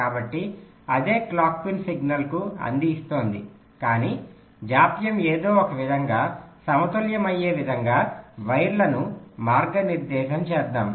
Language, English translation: Telugu, so the same clock pin is feeding the signal, but let us route the wires in such a way that the delays are getting balanced in some way